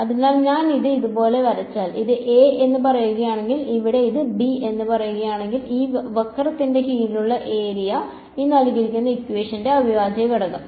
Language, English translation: Malayalam, So, if I draw it like this, if this is say a and this is say b over here then the area under this curve is what is the integral of a to b f x dx ok